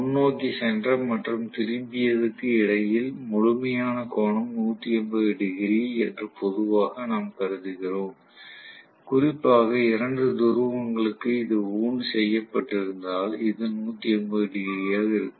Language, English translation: Tamil, Normally we assume that between the forward and the returned the complete angle is about 180 degrees, especially if it is wound for two poles it is going to be 180 degrees